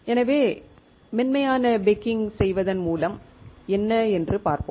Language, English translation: Tamil, So, let us see what is the advantage of doing soft baking